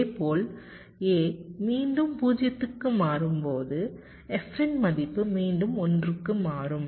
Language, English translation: Tamil, similarly, when a switches back to zero, the value of f will again switch to one